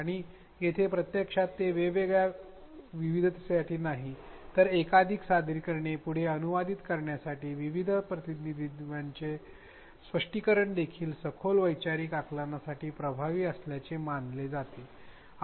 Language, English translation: Marathi, And here in fact, this is not only for diversity multiple representations and having learners, translate back and forth, interpret various representations is also known to be effective for deeper conceptual understanding